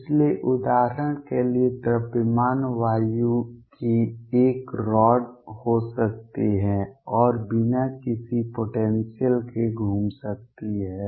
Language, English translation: Hindi, So, for example, could be a rod the mass air and moving around with no potential